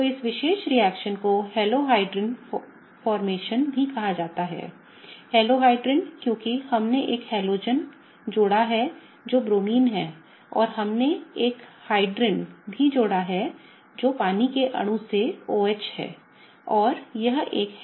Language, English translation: Hindi, So, this particular reaction is also called as Halohydrin formation; Halohydrin because we have added a halogen which is Bromine and we have also added a hydrin which is the OH from water molecule